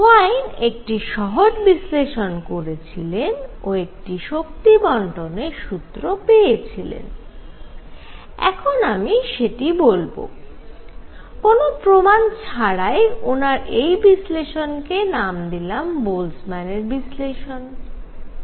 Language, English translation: Bengali, And he got a distribution formula what he said is I will I will just state this without any proof he used some name call the Boltzmann’s analysis